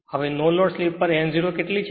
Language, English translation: Gujarati, Now no load speed n 0 is how much right